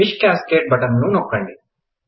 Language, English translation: Telugu, Click the Fish Cascade button